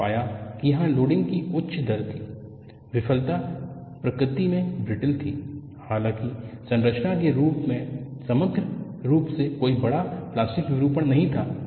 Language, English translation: Hindi, We found that there was a higher rate of loading; the failure was brittle in nature, although there was no major plastic deformation on the structure as a whole